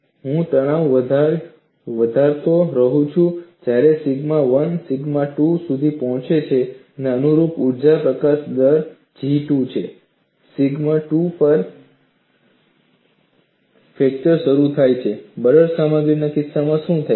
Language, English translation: Gujarati, I keep increasing the stress and when sigma 1 reaches sigma 2, and the corresponding energy release rate is G 2, fracture initiates at sigma 2